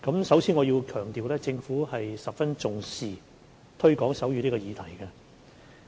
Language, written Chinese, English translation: Cantonese, 首先我要強調政府十分重視推廣手語這項議題。, First of all I must stress that the Government attaches a great deal of importance to the promotion of sign language